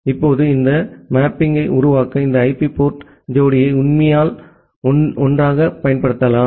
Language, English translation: Tamil, Now, you can use this IP port pair actually together to make this mapping